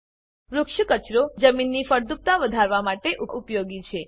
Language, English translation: Gujarati, Tree wastes are useful in increasing soil fertility